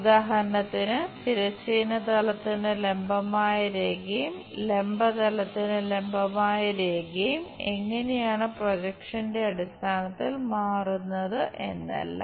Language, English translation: Malayalam, For example, a line which is perpendicular to the horizontal plane and perpendicular to that vertical plane, how it really turns out to be in terms of projections